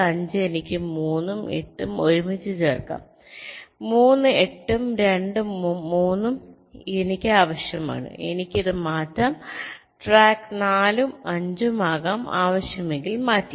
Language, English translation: Malayalam, three, eight and two and three i need i can change this track four and five can be swapped if required